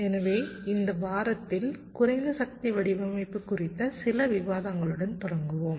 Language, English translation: Tamil, so in this week we shall be starting with some discussions on low power design